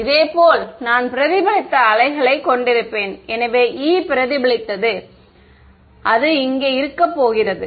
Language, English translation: Tamil, Similarly, I will have the reflected wave ok, so E reflected ok, so this is going to be